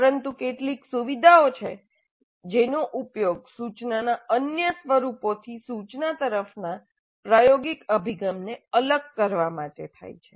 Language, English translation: Gujarati, But there are certain features which are used to distinguish experiential approach to instruction from other forms of instruction